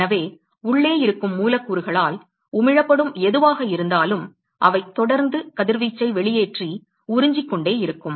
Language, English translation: Tamil, So, therefore, there is whatever emitted by the molecules which are present inside they are going to be constantly emitting and absorbing radiation